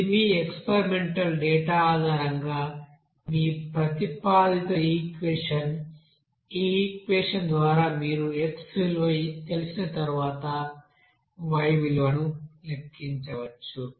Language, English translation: Telugu, So this will be your proposed equation based on your experimental data and by this equation you can calculate what will be the y value once you know that x value